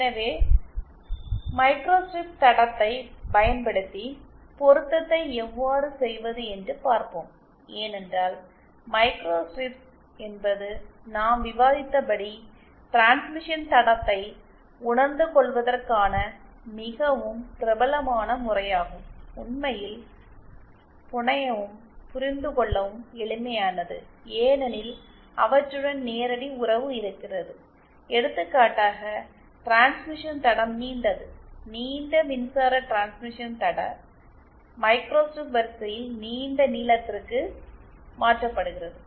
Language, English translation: Tamil, So, let us see how to do matching using a microstrip line because microstrips are the as we have discussed are a very popular method of realising transmission lines, there really to fabricate and there also simple to understand because they have a direct relationship with theÉ For example the longer the transmission line, longer electric transmission line translates to a longer length in a microstrip line